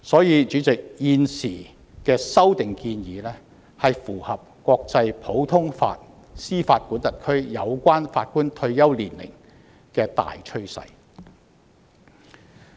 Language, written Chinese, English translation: Cantonese, 因此，主席，現時的修訂建議符合國際普通法司法管轄區關乎法官退休年齡的大趨勢。, Hence President the current proposed amendments are in keeping with the general trend in the international common law jurisdictions concerning the retirement ages for Judges